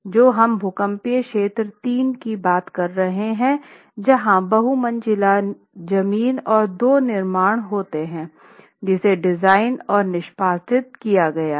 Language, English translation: Hindi, So, we are talking of seismic zone 3 and multi storied ground plus 2 constructions which have been designed and executed in confined masonry